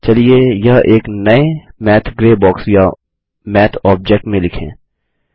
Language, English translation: Hindi, Let us write these in a fresh Math gray box or Math object